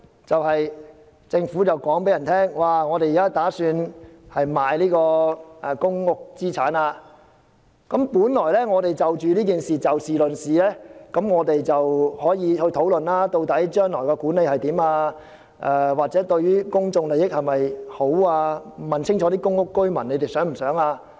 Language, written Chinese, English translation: Cantonese, 政府表示打算出售公屋資產，我們本來可就此事議事論事，討論究竟將來如何管理，或者此舉是否符合公眾利益，並且清楚了解公屋居民的想法。, When the Government indicated its intention to sell public housing assets originally we could have pragmatic discussions on the issue to explore the future mode of management or whether the sale of assets is in the public interest and to understand clearly the views of public housing residents